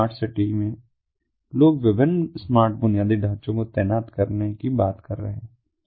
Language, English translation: Hindi, so in smart city, people are talking about deploying smart, different ictin infrastructure